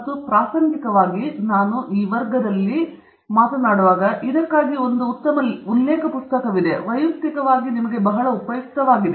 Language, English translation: Kannada, And incidentally, while I go over this class, there is one very good reference book for this, which I have personally found very useful